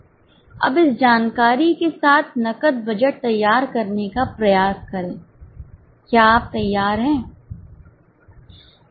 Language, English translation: Hindi, Now with this much of information, try to prepare a cash budget